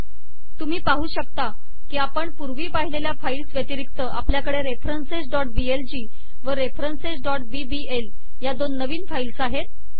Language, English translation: Marathi, You find that, in addition to the files we saw previously, we have two new files, references.blg and references.bbl